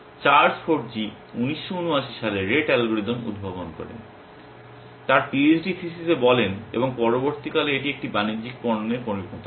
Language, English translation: Bengali, Charles Forgy device the rate algorithm in 1979, his phd theses at a you and subsequently it became a commercial product